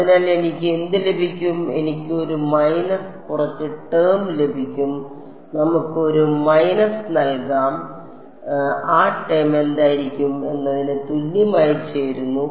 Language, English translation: Malayalam, So, what will I get I will get a minus some term over here let us a minus, minus which gets combined into what will that term be is equal to will simply be